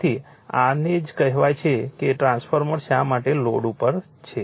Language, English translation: Gujarati, So, this is your what you call that why transformer is on load